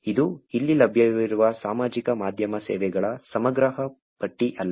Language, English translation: Kannada, This is not a comprehensive list of social media services that are available out there